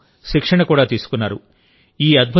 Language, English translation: Telugu, They had also taken training for this